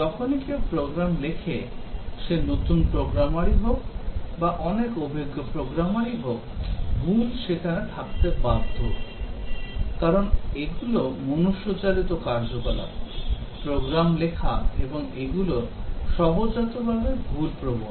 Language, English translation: Bengali, Whenever anybody writes program, whether it is a new programmer or a very experienced programmer errors are bound to be there, because these are manual activities, program writing and these are inherently error prone